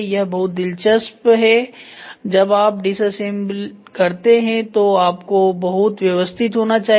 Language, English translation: Hindi, So, is pretty interesting when you disassemble you should be very systematic